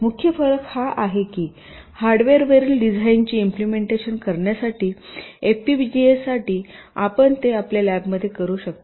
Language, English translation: Marathi, the main difference is that to implement a design on the hardware for fpga, ah, you can do it in your lab